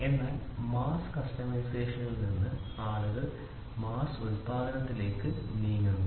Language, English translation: Malayalam, So, from mass customization people move towards mass production